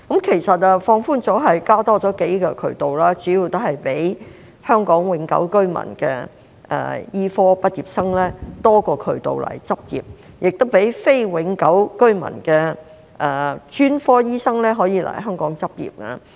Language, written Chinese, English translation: Cantonese, 其實放寬主要是增加數個渠道，讓香港永久性居民的醫科畢業生增加來港執業的渠道，也讓非永久性居民的專科醫生可以來港執業。, In fact the main purpose of the relaxation is to provide a number of additional channels for medical graduates who are Hong Kong permanent residents to come and practise in Hong Kong and to allow specialist doctors who are not permanent residents to come to Hong Kong for practice